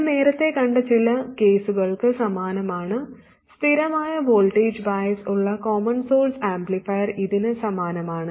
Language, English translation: Malayalam, And this is the same as in a couple of cases we have seen earlier the common source amplifier with constant voltage bias had exactly these things